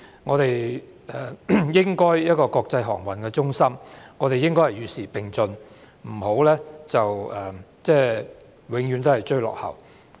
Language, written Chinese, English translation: Cantonese, 我們作為國際航運中心應該與時並進，不要永遠追落後。, As an international maritime center Hong Kong should keep abreast of the times instead of having to catch up all the time